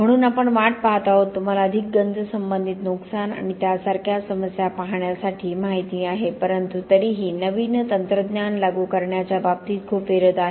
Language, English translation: Marathi, So we are waiting, you know to see more corrosion related damage and issues like that, so but still there is a lot of resistance when it comes to a new technology to be implemented